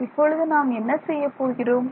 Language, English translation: Tamil, what will we do now